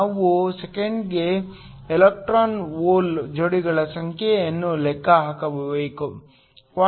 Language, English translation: Kannada, We need to calculate the number of electron hole pairs per second